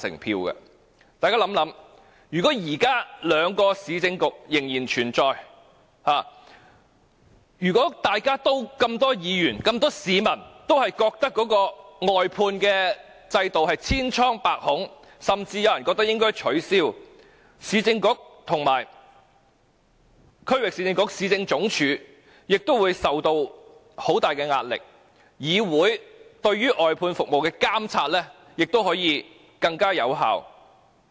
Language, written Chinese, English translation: Cantonese, 大家想想，如果現在兩個市政局仍然存在，當這麼多議員和市民均認為外判制度千瘡百孔，甚至有人認為應該取消，前市政局及前區域市政局區域局亦會受到很大壓力，議會對於外判服務的監察亦能更有效。, Imagine if the two Municipal Councils still exist now as so many Members and people think that the outsourcing system is full of flaws and loopholes with some of them even thinking that it should be abolished the former Urban Council and Regional Council would be under a lot of pressure and the monitoring of outsourced services by this Council could be more effective